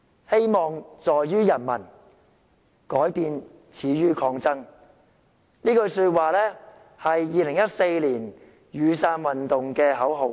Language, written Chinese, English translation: Cantonese, "希望在於人民，改變始於抗爭"，這句說話是2014年雨傘運動的口號。, Hopes lie with the people; changes start from resistance . It was the motto of the Umbrella Movement in 2014